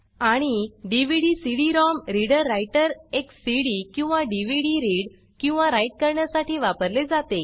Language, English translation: Marathi, And the DVD/CD ROM reader writer is used to read or write a CD or a DVD